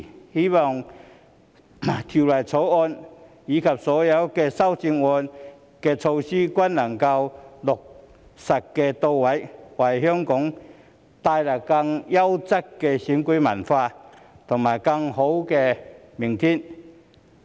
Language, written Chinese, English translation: Cantonese, 我希望《條例草案》及所有修正案的措施均能落實到位，為香港帶來更優質的選舉文化和更美好的明天。, I hope that the measures proposed in the Bill and all the amendments can be implemented so as to bring a better electoral culture and a better tomorrow to Hong Kong